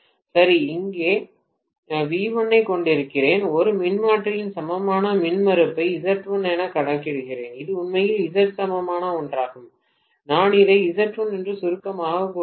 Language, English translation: Tamil, Right so I am having V1 here, I am showing one transformer’s equivalent impedance as Z1, this is actually Z equivalent one, I am just abbreviating that to Z1